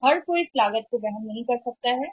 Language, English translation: Hindi, So, everybody cannot afford to that cost